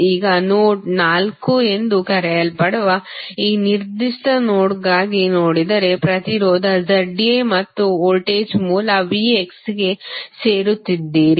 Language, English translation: Kannada, Now, if you see for this particular node called node 4 you are joining the impedance Z A and the voltage source V X